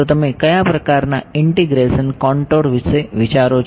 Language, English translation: Gujarati, So, what kind what kind of integration contour do you think of